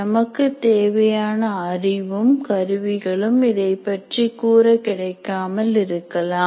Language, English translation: Tamil, Possibly we may or may not have the required knowledge and tools available to address that particular issue